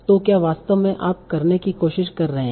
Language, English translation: Hindi, So what in fact you are trying to do